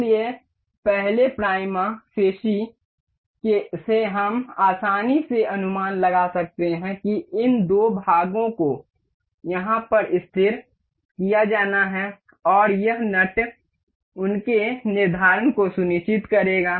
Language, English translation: Hindi, So, by the first prima facie we can easily guess that these two part has to be fixed over here and this nut would ensure their fixation